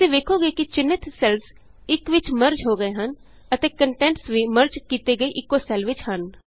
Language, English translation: Punjabi, You see that the selected cells get merged into one and the contents are also within the same merged cell